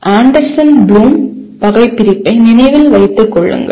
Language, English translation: Tamil, Remember and understand of Anderson Bloom taxonomy